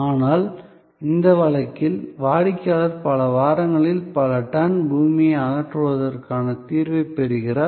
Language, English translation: Tamil, But, in this case, the customer was getting the solution, that so many tones of earth were to be removed in so many weeks